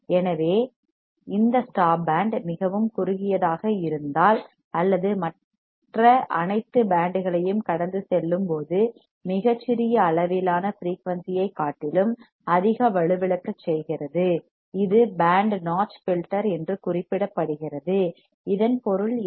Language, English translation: Tamil, So, if this stop band is very narrow or highly attenuated over a very small range of frequency while passing all the other bands, it is more referred to as band notch filter what does that mean